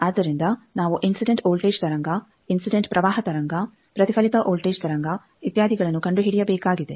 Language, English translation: Kannada, So, we will have to find the incident voltage wave, incident current wave, reflected voltage wave, etcetera